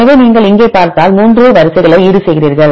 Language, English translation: Tamil, So, you offset the 3 sequences right if you see here